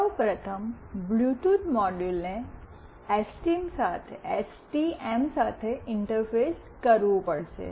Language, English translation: Gujarati, First of all the Bluetooth module have to be interfaced with the STM